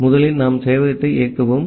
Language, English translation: Tamil, So, first we will run the server